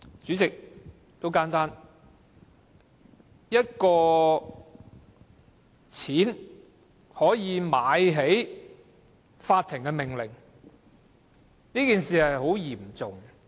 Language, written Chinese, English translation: Cantonese, 很簡單，一筆錢可以"買起"法庭的命令，是很嚴重的問題。, The reason is very simple . It is a grave issue that a court order can be bought up with a sum of money